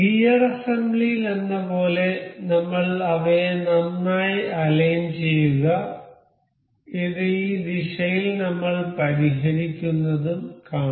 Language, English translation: Malayalam, So, for this as in gear assembly we have go to align them well I will fix this in this direction see this